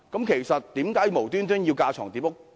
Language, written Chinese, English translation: Cantonese, 其實有甚麼緣故要架床疊屋？, In fact what is the reason for duplicating the efforts?